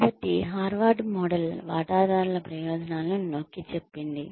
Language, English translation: Telugu, So, Harvard model said that, emphasized on the interests of the stakeholders